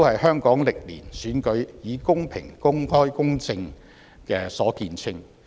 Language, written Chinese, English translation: Cantonese, 香港歷年的選舉亦以公平、公開、公正見稱。, For years elections in Hong Kong have been renowned for being fair open and just